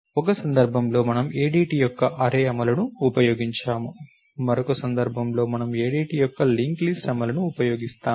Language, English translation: Telugu, In one case, we have use the array implementation of the ADT, in other case we have use the link list implementation of the ADT, it simply does not matter